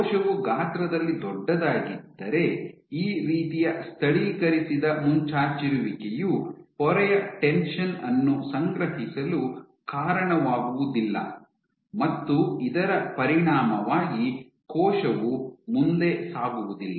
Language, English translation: Kannada, If the cell was huge then this kind of localized protrusion would not lead to accumulation of membrane tension as a consequences cell would not move forward